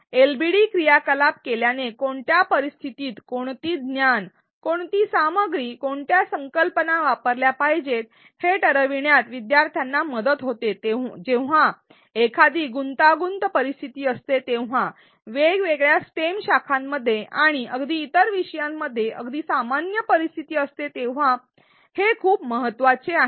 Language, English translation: Marathi, Doing LbD activities help learners decide which knowledge, which content which concepts are to be used in which situations and this becomes very important when there is a complex situation, a complex scenario fairly common in various STEM disciplines and even in other disciplines